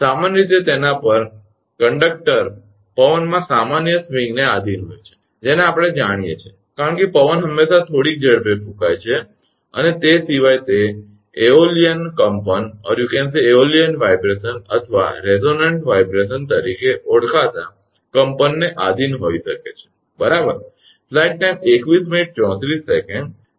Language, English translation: Gujarati, Generally, over it conductors will subject to normal swinging in wind, that we know right because, wind is always blowing at some speed right and apart from that may subject to vibration known as aeolian vibration, or resonant vibration right